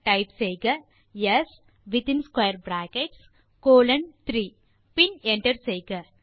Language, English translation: Tamil, So type s in square brackets colon 3 and hit enter